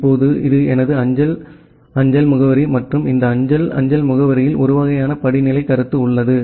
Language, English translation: Tamil, Now, this is my postal mail address and in this postal mail address there is a kind of hierarchical notion